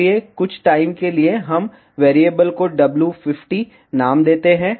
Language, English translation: Hindi, So, for the time being we name the variable as W 50 ok